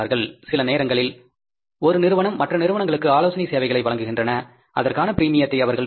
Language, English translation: Tamil, Sometime companies, one company gives the consultancy services to other companies, they get the premium for that, so that will be the indirect income